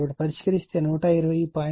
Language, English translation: Telugu, So, if you solve it it will be 120